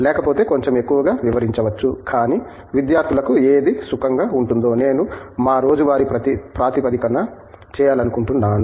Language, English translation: Telugu, Otherwise, would elaborate a little bit more, but whatever the students feel comfortable with, I would like do that on our daily basis